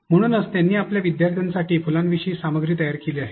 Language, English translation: Marathi, So, he has he has created the content about flowers for his students and he wants